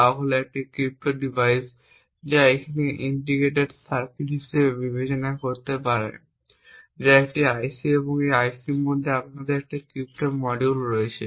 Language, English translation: Bengali, So the example we would take is a crypto device, so you can consider this as integrated circuit that is an IC and within this IC we have a crypto module, a secret key which is stored in within this particular IC